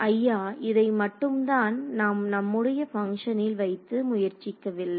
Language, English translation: Tamil, Sir this is the only thing we did not try with our function